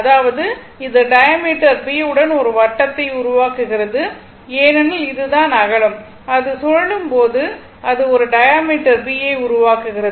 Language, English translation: Tamil, So, this is your this is the diameter, b is the breadth basically when it is revolving, it is actually diameter right